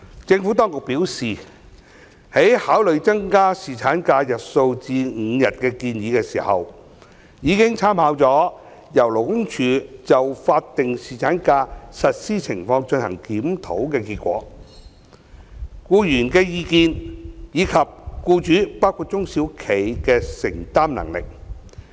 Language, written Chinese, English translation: Cantonese, 政府當局表示，在考慮增加侍產假日數至5天的建議時，已參考由勞工處就法定侍產假實施情況進行檢討的結果、僱員的意見，以及僱主的承擔能力。, According to the Administration in considering the proposed increase of paternity leave to five days it has made reference to the result of the review conducted by the Labour Department on the implementation of statutory paternity leave the views of employees and the affordability of employers including small and medium enterprises